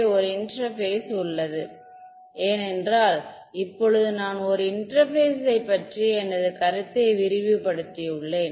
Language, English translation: Tamil, There is an interface it is because, now I have expanded my idea of an interface itself